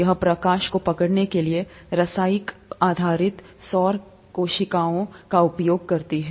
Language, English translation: Hindi, This uses, chemical based solar cells to capture light